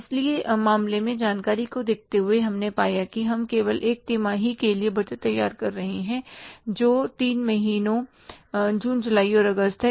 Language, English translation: Hindi, So, given the information in the case, we have found that we are preparing the budget for only one quarter that is three months, June, July and August